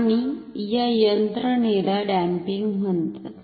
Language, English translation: Marathi, And this mechanism is called damping